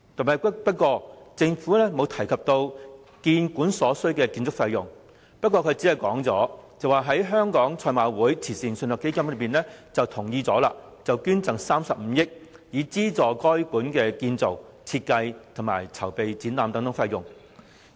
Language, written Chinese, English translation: Cantonese, 可是，政府卻未有提及建館所需的建築費用，僅表示香港賽馬會慈善信託基金已同意捐贈35億元，以資助故宮館的建造、設計及籌備展覽等費用。, However the Government did not mentioned the building costs required and only said that the Hong Kong Jockey Club HKJC Charities Trust agreed to sponsor 3.5 billion to fund the costs of building and designing HKPM and the preparatory work for staging its exhibitions etc